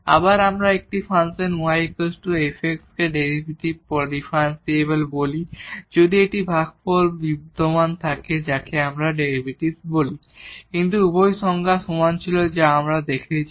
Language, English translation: Bengali, Again we call a function y is equal to f x differentiable if this quotient exist which we call derivative, but both the definitions were equivalent we have seen